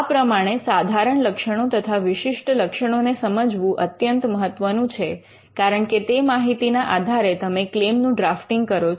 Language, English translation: Gujarati, So, understanding the general features and the specific features will be critical, because based on that you will be using that input and drafting your claim